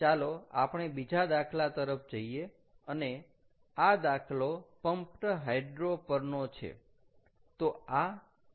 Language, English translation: Gujarati, ok, ok, lets move on to the next problem, and this problem is on pumped hydro